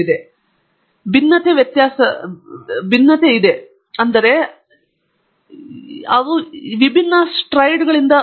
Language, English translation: Kannada, The difference is in the variability, in the variances; that is, they come out of different spreads